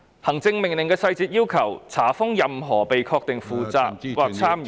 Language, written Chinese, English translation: Cantonese, 行政命令的細節要求，查封任何被確定負責或參與......, The details of the executive order require that any person determined to be responsible for or involved in